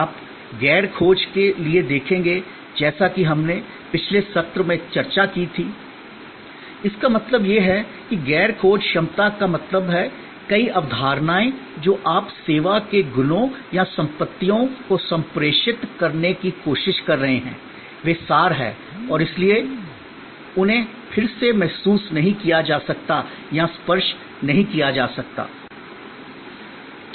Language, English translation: Hindi, You will see for the non searchability as we discussed in the previous session; that means non searchability means that, many of the concepts that you are trying to communicate or properties of the service are abstract and therefore, they cannot be again and again felt or touched